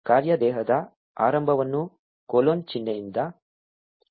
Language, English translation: Kannada, The beginning of the function body is indicated by a colon sign